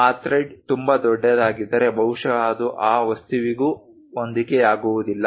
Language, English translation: Kannada, Perhaps if that thread is very large perhaps it might not really fit into that object also